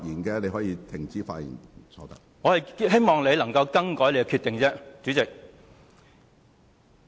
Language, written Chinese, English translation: Cantonese, 主席，我只是希望你能夠更改你的決定。, President I just hope that you can change your decision